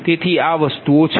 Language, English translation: Gujarati, so this is the thing